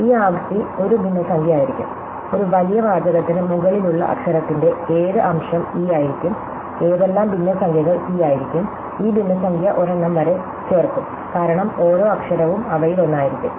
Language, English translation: Malayalam, So, this frequency would be a fraction, what fraction of the letter over a large body of text will be eÕs, what fraction will be cÕs and these fraction will add up to one, because every letter would be one of them